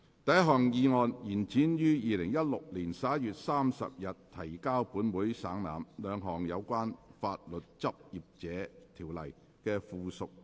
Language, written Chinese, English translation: Cantonese, 第一項議案：延展於2016年11月30日提交本會省覽，兩項有關《法律執業者條例》的附屬法例的修訂期限。, First motion To extend the period for amending two items of subsidiary legislation in relation to the Legal Practitioners Ordinance which were laid on the Table of this Council on 30 November 2016